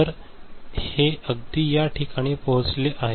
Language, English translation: Marathi, So, it has reached this place right